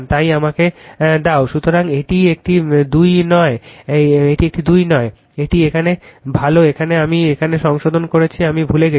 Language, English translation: Bengali, So, this is not a square this is here well here I correct here I forgot